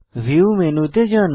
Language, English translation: Bengali, Go to View menu